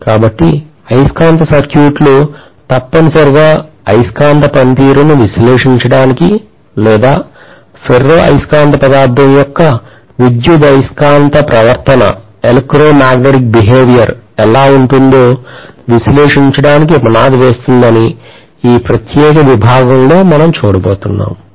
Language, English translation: Telugu, So magnetic circuits essentially lays the foundation for analyzing the magnetic functioning or how electromagnetic behavior of the ferromagnetic material is